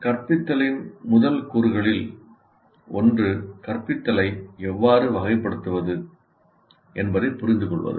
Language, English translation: Tamil, Now one of the first elements of the instruction is to understand how to classify instruction